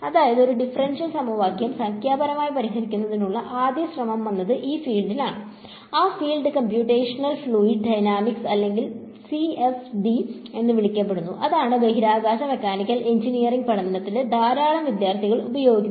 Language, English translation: Malayalam, So, the first effort in trying to numerically solve a differential equation; it came about in this field and that field became to became to be called computational fluid dynamics or CFD, that is what a lot of students in aerospace and mechanical engineering study